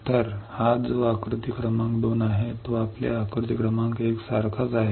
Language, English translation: Marathi, So, this one which is figure number 2 is nothing, but similar to your figure number one